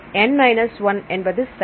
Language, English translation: Tamil, N minus 1, right